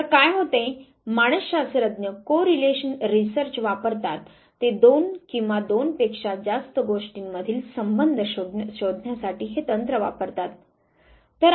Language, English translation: Marathi, So what happens, the psychologist they use correlational research they use this very technique to find out relationship between two or more than two things